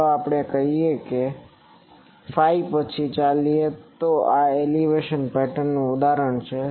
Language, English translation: Gujarati, Let us say phi as we move then that gives this is an example of an elevation pattern